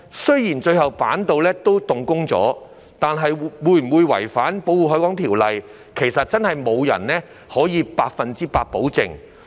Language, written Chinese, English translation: Cantonese, 雖然板道最終仍能動工，但有關工程有否違反《條例》，其實無人能夠百分之一百保證。, Although the construction of the boardwalk could commence eventually no one can give a 100 % guarantee as to whether the works concerned have violated the Ordinance